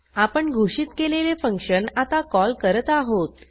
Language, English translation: Marathi, This is the declaration definition of the function